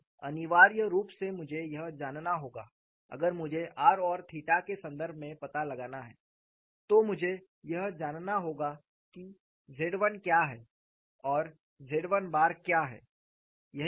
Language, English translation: Hindi, So, essentially I will have to know, if I have to find out in terms of r and theta, I will have to know what is what is Z 1 and what is Z 1 bar